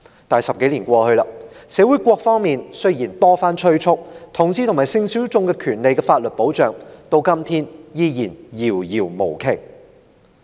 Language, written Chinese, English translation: Cantonese, 可是 ，10 多年後，雖然社會各方多番催促，但同志和性小眾所應享有的法定權利和保障，至今依然遙不可及。, More than a decade later however the statutory rights and protection which the homosexual people and sexual minorities should be entitled to are still far from reach despite repeated calls from various parties in society